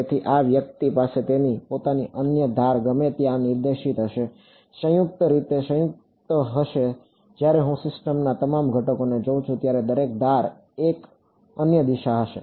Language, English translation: Gujarati, So, this guy will have its own other edges pointed any where, combined in the combined way when I look at all the elements of the system every edge will have a unique direction